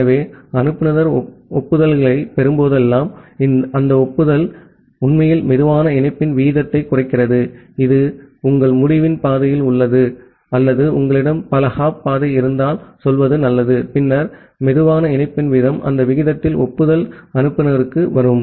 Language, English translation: Tamil, So, that way whenever the sender will get the acknowledgements, that acknowledgement actually indicates the rate of the slower link, which is there in your end to end path or better to say if you have multiple hop path, then the rate of the slowest link in that the rate, the acknowledgement will arrive at the sender